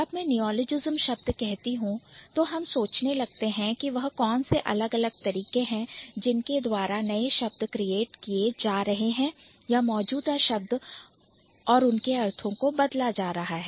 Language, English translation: Hindi, So, when I say neologism, our concern is to figure out what are the different ways by which new words are being created or the existing words they change their meaning